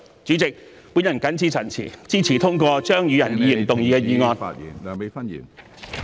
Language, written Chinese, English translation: Cantonese, 主席，我謹此陳辭......支持通過張宇人議員動議的議案。, President I so submit and support the passage of the motion moved by Mr Tommy CHEUNG